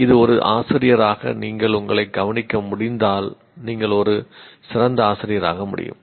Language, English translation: Tamil, This as a teacher if you are able to observe yourself, one can become a better teacher